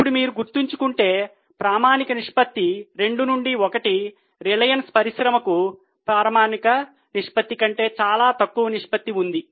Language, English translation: Telugu, Now if you remember we had discussed of standard ratio of 2 is to 1, reliance industry has much lesser current ratio than the standard ratio